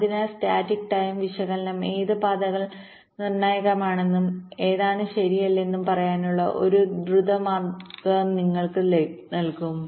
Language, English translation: Malayalam, so static timing analysis will give you a quick way of telling which of the paths are critical and which are not right